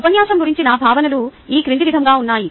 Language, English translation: Telugu, my feelings about the lecture are as follows